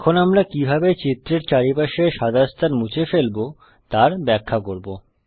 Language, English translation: Bengali, We will now explain how to remove the white space around the figure